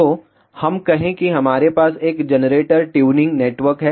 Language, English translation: Hindi, So, let us say we have a generator tuning network